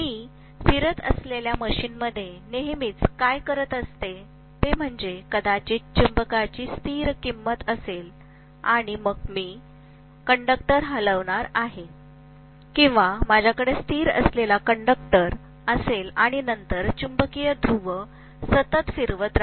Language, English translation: Marathi, Whereas in a rotating machine, invariably, what I am going to do is, to probably have a constant value of magnetism and then I am going to move a conductor, or, I am going to have a conductor which is stationary and then move a magnetic pole continuously, rotate it